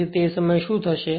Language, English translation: Gujarati, So, at that what will happen